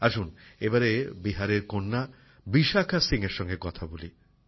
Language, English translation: Bengali, Come, let's now speak to daughter from Bihar,Vishakha Singh ji